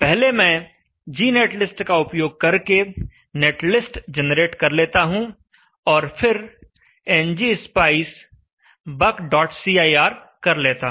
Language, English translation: Hindi, First let me generate the net list using the G net list and then ngspicebuk